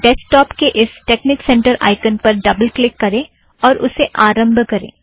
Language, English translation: Hindi, So, double click the texnic center icon from the desktop and launch it